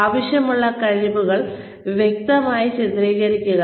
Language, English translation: Malayalam, Clearly illustrate desired skills